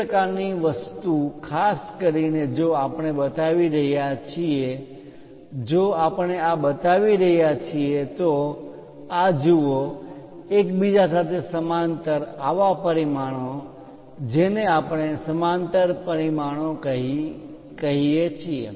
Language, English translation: Gujarati, That kind of thing especially if we are showing it if we are showing this one this one this one, look at this these are parallel with each other; such kind of dimensions what we call parallel dimensioning